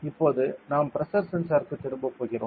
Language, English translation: Tamil, Now we will be going back to the pressure sensor ok